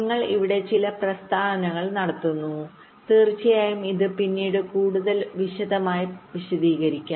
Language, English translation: Malayalam, there are a few statements you are making here, of course, will be explaining this little later in more detail